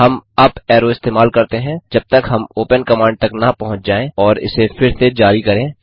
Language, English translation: Hindi, We just use the up arrow until we reach the open command and issue it again.Then hit Enter